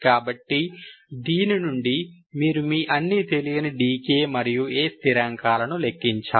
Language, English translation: Telugu, So from this you have to calculate all your d k and A, the unknown constants